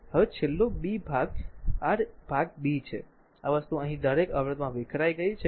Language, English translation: Gujarati, Now, now last b part is your part b, this thing the power dissipated in each resistor here